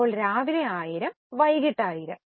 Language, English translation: Malayalam, So, 1000 in the morning, 1,000 in the afternoon